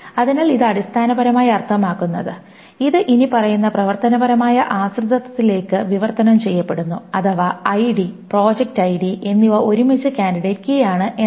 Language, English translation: Malayalam, So this essentially means that this translates to the following functional dependency that ID project ID together is the candidate key